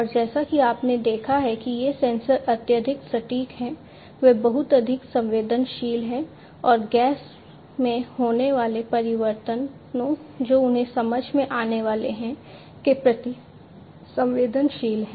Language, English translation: Hindi, And as you have seen that these sensors are highly accurate, they are very much sensitive, and sensitive to the changes in the gas that they are supposed to; that they are supposed to sense